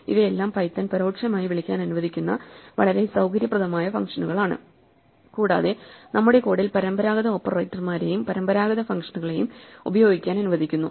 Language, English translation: Malayalam, These are all very convenient functions that python allows us to call implicitly, and allows us to use conventional operators and conventional functions in our code